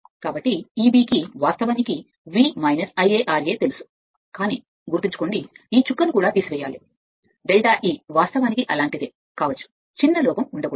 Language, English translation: Telugu, So, E b you know V minus I a r a, but keep it in your mind also this drop has to be subtracted minus delta E, you may right such that, there should not be any small error